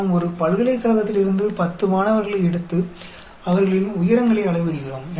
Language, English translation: Tamil, We take 10 students from a university and measure their heights